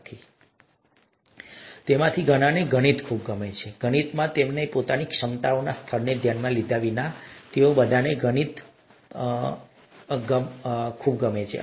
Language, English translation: Gujarati, And many of them like mathematics a lot, irrespective of their own capability level in mathematics, they all like mathematics a lot